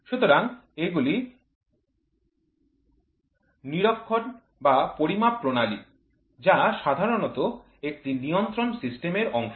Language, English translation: Bengali, So, these are monitoring or operational measurements which are usually a part of a control system